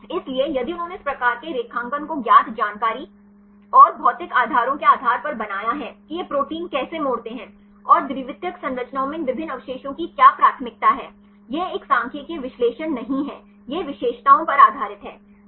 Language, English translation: Hindi, So, if they made these type of graphs based on the known information and the physical basis of how these proteins fold and what are the preference of these different residues in secondary structures this is not a statistical analysis, it is based on the characteristics of the residues in protein structures